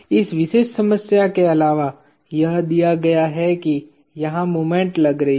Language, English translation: Hindi, In addition in this particular problem it is given that there is a moment acting here